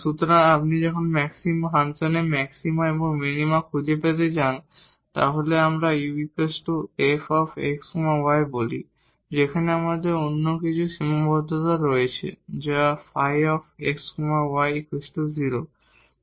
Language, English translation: Bengali, So, if you want to find the maxima and minima of the function, let us say u is equal to f x y where we have some other constraint that phi x y is equal to 0